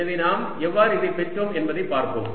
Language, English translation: Tamil, all right, so let's see how we arrived at this